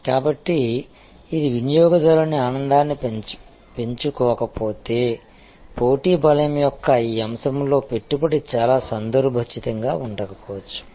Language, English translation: Telugu, So, which means that if it is not going to enhance customer delight, then possibly investment in that aspect of the competitive strength may not be very relevant